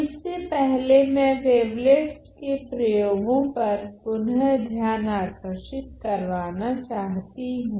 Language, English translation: Hindi, So, before that again I just want to briefly emphasize the applications of wavelets